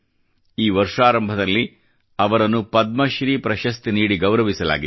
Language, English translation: Kannada, In the beginning of this year, she was honoured with a Padma Shri